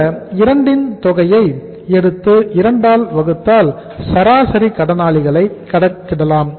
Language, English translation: Tamil, If you take the sum of these 2 and divide by 2 you can calculate the average debtors